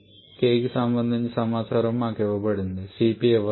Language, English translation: Telugu, We are just given with the information of k not Cp